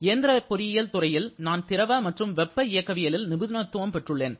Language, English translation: Tamil, Now, here in the Department of Mechanical Engineering, I belong to the fluid and thermal specialization